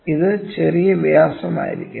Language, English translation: Malayalam, So, this will be the minor diameter